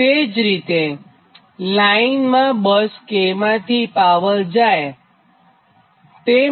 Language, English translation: Gujarati, so similarly, power fed into the line from bus k